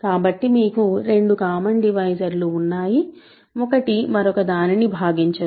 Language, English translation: Telugu, So, you have two common divisors, one does not divide the other, ok